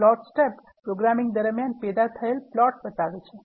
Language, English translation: Gujarati, The Plots tab shows the plots that are generated during the course of programming